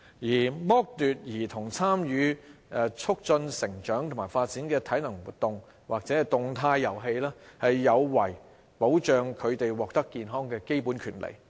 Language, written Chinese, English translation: Cantonese, 而剝奪兒童參與促進成長及發展的體能活動或動態遊戲，有違保障他們獲得健康的基本權利。, Depriving children of physical activity or active play which is vital to growth and development is working against protecting their basic right to health